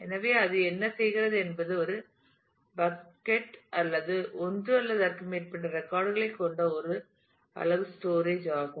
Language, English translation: Tamil, So, it what it does a there is a bucket is a unit of storage containing one or more records